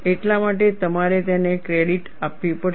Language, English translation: Gujarati, That is why you have to give him credit